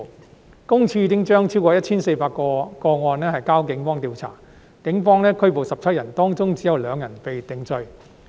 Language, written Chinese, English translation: Cantonese, 私隱公署已將超過 1,400 多宗個案轉交警方調查，警方共拘捕17人，當中只有2人被定罪。, PCPD had referred over 1 400 cases to the Police for investigation and a total of 17 suspects had been arrested by the Police but only two of the suspects were convicted